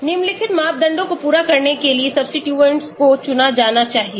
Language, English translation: Hindi, Substituents must be chosen to satisfy the following criteria